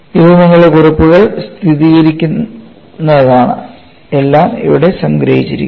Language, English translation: Malayalam, This is what I will have to do and this is just to verify your notes, it is all summarized here